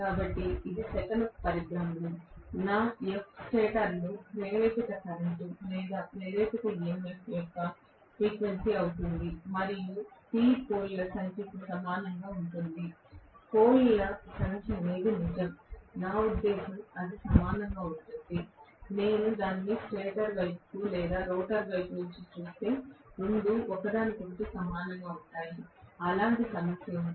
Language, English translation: Telugu, So this is revolution per second, my f is going to be frequency of the induced current or induced EMF in the stator and P is going to be equal to number of poles, number of poles is true, I mean it is going to be equal if I look at it from the stator side or rotor side, both of them are going to be equal to each other, there is a problem as such